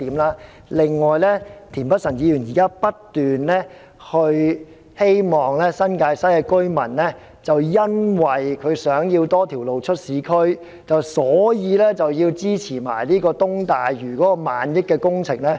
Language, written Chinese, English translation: Cantonese, 此外，田議員現時不斷說，新界西居民希望有多一條鐵路直達市區，所以要支持東大嶼萬億元的工程。, Besides now Mr TIEN keeps on saying that as residents in the New Territories West want to have a railway line connecting urban areas directly therefore he has to support the trillion dollar East Lantau development project